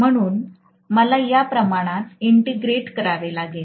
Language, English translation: Marathi, So I have to integrate these quantities